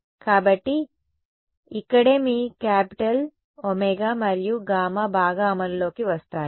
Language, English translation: Telugu, So, that is where your capital omega and gamma come into play ok